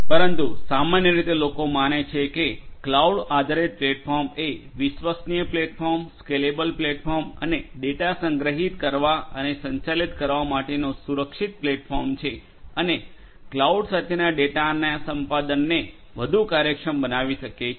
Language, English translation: Gujarati, But in general the you know people believe that cloud based platforms will give you, a reliable platform, a scalable platform and a secure platform for storage and handling of data and also the acquisition of the data with cloud can be made much more efficient